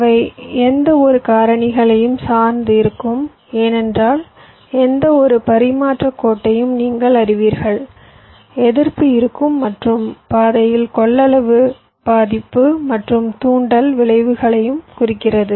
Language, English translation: Tamil, they will depend on number of factors because, you know, for any transmission line there will be resistive and the capacitive affect along the path, and means also inductive effects